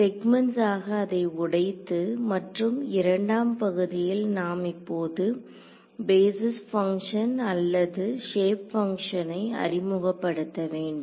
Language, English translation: Tamil, Break it up into segments and the second part is we have to now introduce the basis functions or the shape functions in this case ok